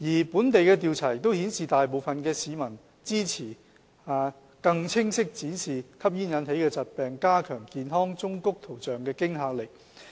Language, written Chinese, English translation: Cantonese, 本地的調查亦顯示，大部分市民支持更清晰地展示吸煙引起的疾病，加強健康忠告圖像的驚嚇力。, As shown by a local survey the majority public support that the health warnings about the smoking - induced diseases should be displayed more clearly and the graphic health warnings should be made more threatening